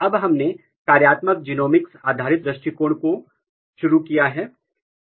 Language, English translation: Hindi, Now, we started the functional genomics based approaches